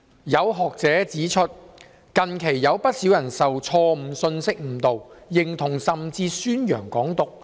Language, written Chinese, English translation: Cantonese, 有學者指出，近期有不少人受錯誤信息誤導，認同甚至宣揚港獨。, Some academics have pointed out that quite a number of people have recently been misled by wrong messages into identifying with and even advocating Hong Kong independence